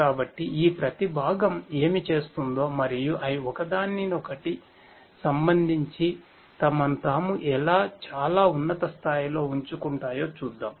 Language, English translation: Telugu, So, let us look at a very high level what each of these components do and how they position themselves with respect to each other